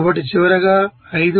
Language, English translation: Telugu, So finally to becoming as 5